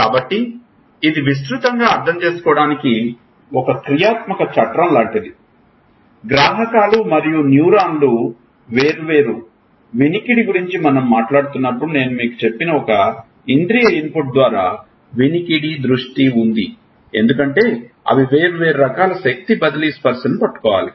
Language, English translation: Telugu, So, this is like a functional framework, just to broadly understand; there is a sensory input hear vision I told you about the when we were talking about the why receptors and neurons are different hearing because they have to catch different type of energy transfer touch